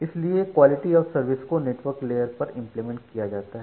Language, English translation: Hindi, So, that is why you implement quality of service at the network layer